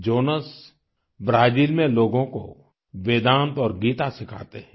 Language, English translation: Hindi, Jonas teaches Vedanta & Geeta to people in Brazil